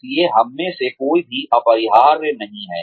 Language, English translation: Hindi, So, none of us are indispensable